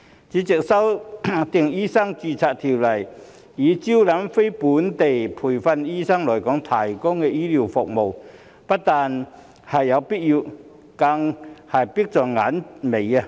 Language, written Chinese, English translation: Cantonese, 主席，修訂《醫生註冊條例》以招攬非本地培訓醫生來港提供醫療服務，不但有必要，更是迫在眉睫。, President amending the Medical Registration Ordinance to attract NLTDs to provide healthcare services in Hong Kong is not only necessary but also imminent